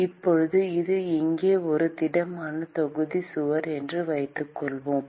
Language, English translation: Tamil, Now, let us assume that it is a solid volume wall here